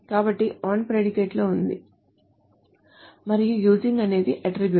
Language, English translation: Telugu, So the on is on the predicate and using is the attribute